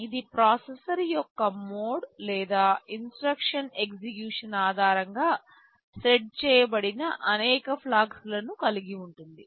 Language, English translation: Telugu, It consists of several flags that are set depending on the mode of the processor or the instruction execution